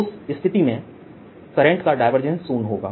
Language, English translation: Hindi, in that case divergence of the current would be zero